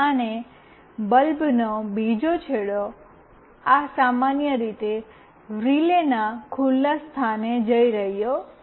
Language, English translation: Gujarati, And another end of the bulb is going to this normally open point of the relay